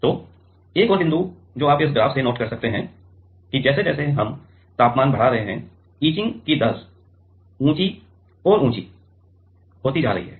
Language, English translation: Hindi, So, the another point what you can note from this graph that is; we are increasing the temperature, the etch rate is getting higher and higher